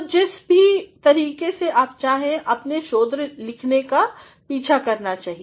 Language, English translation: Hindi, So, whatever way you want you should follow your research writing